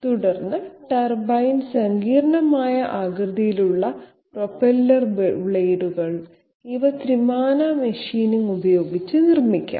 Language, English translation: Malayalam, Then turbine, propeller blades which have complex shapes, these can be manufactured by 3 dimensional machining